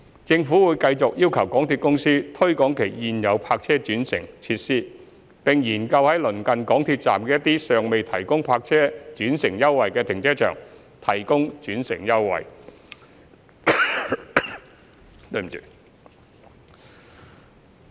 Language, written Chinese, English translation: Cantonese, 政府會繼續要求港鐵公司推廣其現有泊車轉乘設施，並研究在鄰近港鐵站的一些尚未提供泊車轉乘優惠的停車場提供轉乘優惠。, Also the Government will continue to request MTRCL to promote its existing park - and - ride facilities and look into the feasibility of providing park - and - ride concessions for more car parks near MTR stations which have not provided such concessions